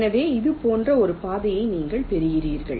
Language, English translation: Tamil, so you get a path like this